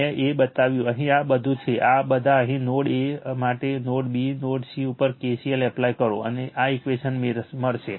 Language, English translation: Gujarati, I showed you one, here is all these all these your here at node A node B node C you apply KCL and you will get this equation, your right you will get this equation